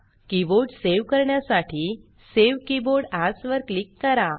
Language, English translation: Marathi, To save the keyboard, click Save Keyboard As